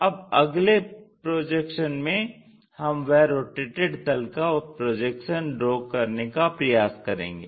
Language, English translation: Hindi, So, in the next projection we have to draw what is that rotation we are really looking for